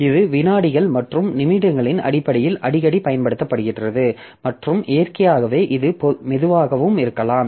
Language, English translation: Tamil, So, it is invoked infrequently in terms of seconds and minutes and that naturally it may be slow also